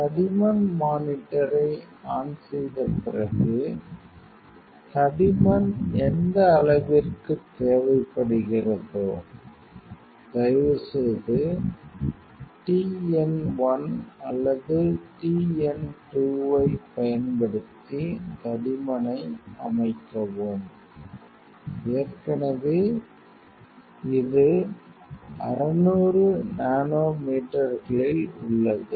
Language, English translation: Tamil, After switch on the thickness monitor, we have to whatever level thickness you need please set the thickness using t n 1 or t n 2, already it is in 600 nanometers reasserted like this